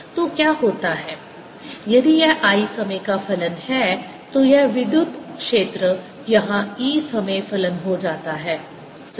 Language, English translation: Hindi, if this i is a function of time, then this electric field here, e, becomes a function of time, right